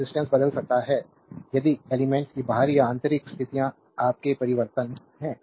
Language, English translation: Hindi, The resistance can change if the external or internal conditions of the elements are your altered